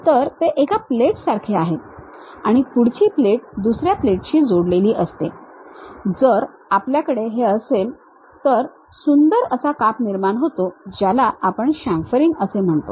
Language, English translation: Marathi, These are something like a plate, next plate attached with another plate that kind of sharp cuts if we have it on that we call chamfering